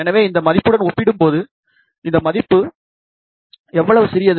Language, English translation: Tamil, So, compared to this value, how small this value is